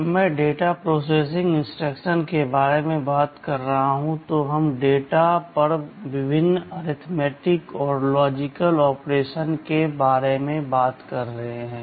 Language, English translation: Hindi, When I am talking about the data processing instructions we are talking about carrying out various arithmetic and logic operations on data